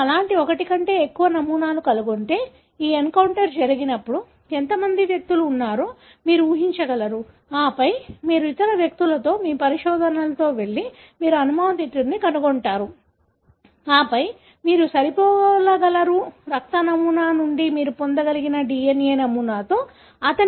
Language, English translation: Telugu, If you find more than one such pattern, you probably will be able to predict how many individuals were there, when this encounter took place, and then you go with other, your investigations, you find a suspect and then you will be able to match his DNA with the DNA pattern that you were able to get from the blood sample